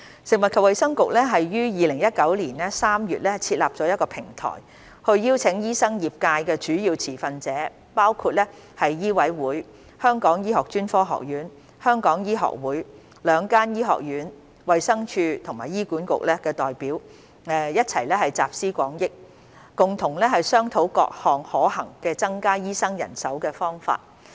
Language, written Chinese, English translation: Cantonese, 食物及衞生局於2019年3月設立一個平台，邀請醫生業界的主要持份者，包括醫委會、香港醫學專科學院、香港醫學會、兩間醫學院、衞生署和醫管局的代表一起集思廣益，共同商討各個增加醫生人手的可行方法。, The Food and Health Bureau set up a platform in March 2019 and invited major stakeholders of the medical sector including the representatives from MCHK the Hong Kong Academy of Medicine the Hong Kong Medical Association two medical schools the Department of Health and HA to draw on collective wisdom and discuss various feasible means to increase the manpower of doctors